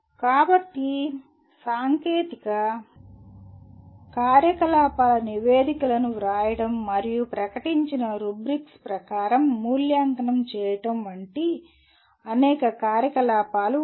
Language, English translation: Telugu, So there are several activities one can do like write technical activities reports and get evaluated as per declared rubrics